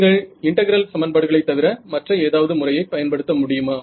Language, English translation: Tamil, Can you use any other method other than integral equations